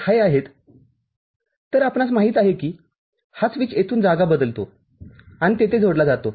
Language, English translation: Marathi, So, this switch you know changes site from here and gets connected over there